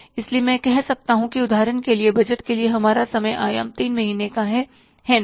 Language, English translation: Hindi, So I can say that that for example we about time horizon for the budgeting is say three months, right